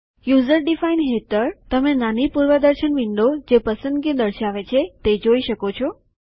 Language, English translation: Gujarati, Under User defined, you can see a small preview window which displays the selection